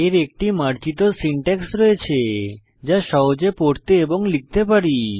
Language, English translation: Bengali, It has an elegant syntax that is natural to read and easy to write